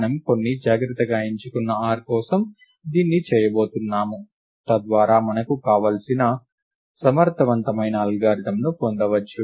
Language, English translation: Telugu, We are going to do this for some carefully chosen r, so that we can get our desired efficient algorithm